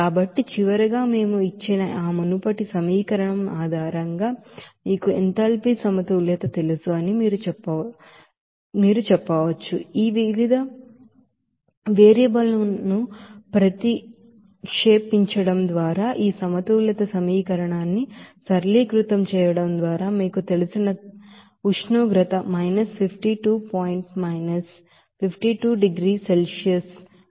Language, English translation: Telugu, So finally, if you do that you know enthalpy balance based on that earlier equation that we have given then we can have this you know temperature as 52 point minus 52 degree Celsius as per after you know simplification of this balance equation by substituting this various variable